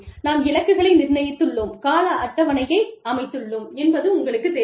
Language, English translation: Tamil, You know, we have set goals, and we have set timetables